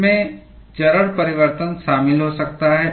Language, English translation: Hindi, It may involve phase change